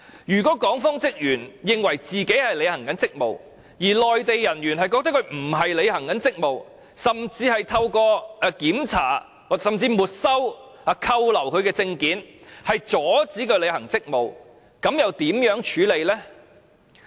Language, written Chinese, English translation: Cantonese, 如果港方職員認為自己正在履行職務，而內地人員覺得他們並非在履行職務，甚至是透過檢查、沒收或扣留其證件，阻止他們履行職務，那又如何處理？, If the personnel of the Hong Kong authorities consider that they are performing their duties but Mainland personnel think otherwise and even prevent them from performing their duties by checking confiscating or detaining their documents how should the situation be tackled?